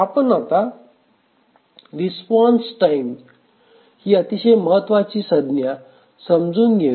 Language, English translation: Marathi, Now let's define another important terminology that we'll be using is the response time